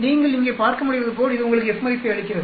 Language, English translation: Tamil, As you can see here, it gives you the F value